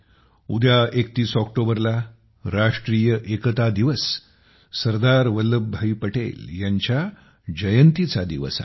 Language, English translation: Marathi, Friends, Tomorrow, the 31st of October, is National Unity Day, the auspicious occasion of the birth anniversary of Sardar Vallabhbhai Patel